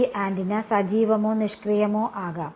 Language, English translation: Malayalam, This antenna can be active or passive